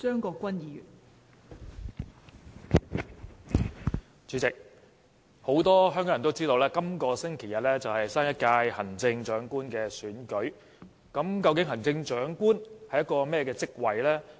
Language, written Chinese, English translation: Cantonese, 代理主席，很多香港人都知道本星期日是新一屆行政長官的選舉日，究竟行政長官是一個怎麼樣的職位？, Deputy President many Hong Kong people know that this Sunday is the day for electing the next Chief Executive . What is the job description of the post of the Chief Executive?